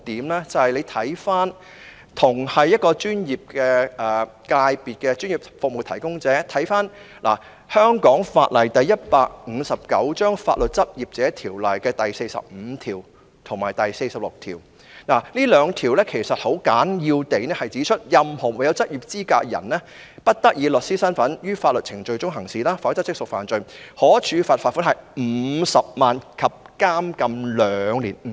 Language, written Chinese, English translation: Cantonese, 大家可以參看有關同屬專業界別的專業服務提供者的法例，根據香港法例《法律執業者條例》第45及46條，這兩項條文簡要地指出，任何沒有執業資格的人，不得在法律程序中以律師身份行事，否則即屬犯罪，可處罰款50萬元及監禁兩年。, Members may refer to the legislation relating to professional service providers from other professional sectors . Sections 45 and 46 of the Legal Practitioners Ordinance Cap . 159 briefly state that any person who does not have the professional qualification is not allowed to act as a solicitor in a proceeding; otherwise it is an offence and shall be liable to a fine of 500,000 and imprisonment for two years